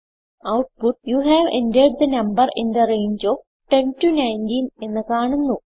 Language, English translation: Malayalam, We print you have entered a number in the range of 10 19